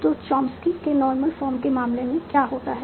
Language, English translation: Hindi, So what happens in the case of Chomsy normal form